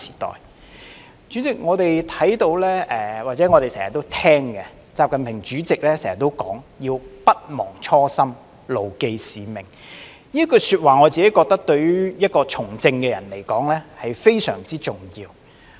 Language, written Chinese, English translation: Cantonese, 代理主席，我們常看到或聽到習近平主席經常說"要不忘初心，牢記使命"，我認為這句話對於從政的人來說非常重要。, Deputy President we often see or hear President XI Jinping say Stay true to our original aspiration and founding mission . I find this sentence very important to those engaged in politics